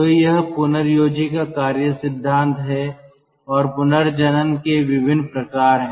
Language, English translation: Hindi, so this is the working principle of regenerator and there are different kinds of regenerator